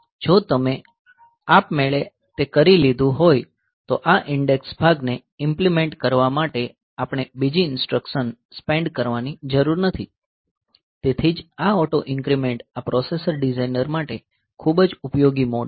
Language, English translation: Gujarati, So, if you if that is automatically done then we do not have to spend another instruction for implementing this index part that that is why this auto increment is a very useful mode for this processor designers